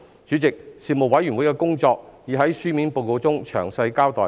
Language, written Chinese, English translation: Cantonese, 主席，事務委員會的工作已在書面報告中詳細交代。, President a detailed account of the work of the Panel can be found in the written report